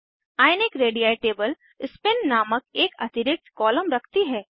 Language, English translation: Hindi, Ionic radii table has an extra column named Spin